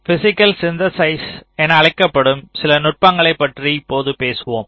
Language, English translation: Tamil, so we now talk about some of the techniques for so called physical synthesis